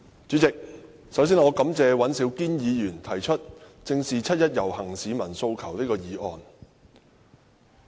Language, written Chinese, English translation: Cantonese, 主席，首先，我感謝尹兆堅議員提出"正視七一遊行市民的訴求"這項議案。, President first of all I would like to thank Mr Andrew WAN for moving a motion on Facing up to the aspirations of the people participating in the 1 July march